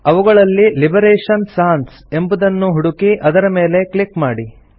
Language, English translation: Kannada, Search for Liberation Sans and simply click on it